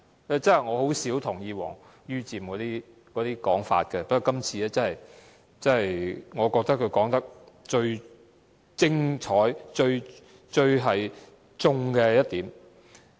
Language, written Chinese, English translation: Cantonese, 我甚少同意王于漸的說法，但我覺得這是他說得最精彩及刺中要害的一點。, I rarely agree to the remarks of Richard WONG but I think this is one of his most exhilarating and incisive points